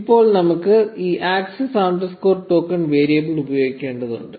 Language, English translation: Malayalam, Now we need to define this access underscore token variable before we can use it